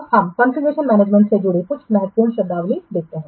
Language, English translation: Hindi, Now let's see some of the important terminology associated with configuration management